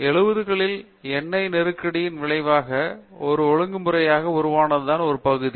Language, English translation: Tamil, Is an area that has emerged as a discipline, consequent to the oil crisis in the 70's